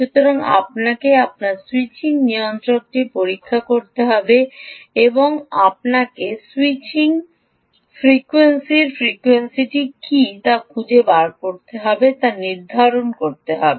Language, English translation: Bengali, you have to check your ah switching regulator and find out what is the frequency of a switching, switching frequency